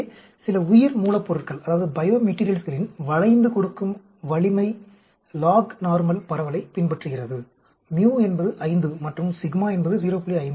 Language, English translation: Tamil, So, Ductile strength of some biomaterials follow lognormal distribution; mu is 5 and sigma is 0